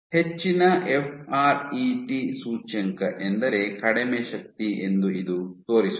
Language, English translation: Kannada, This shows that higher FRET index means lower force